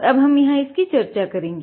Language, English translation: Hindi, We will be discussing about this now ok